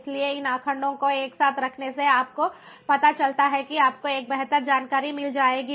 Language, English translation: Hindi, so putting these data together, you know, will make you to get better insight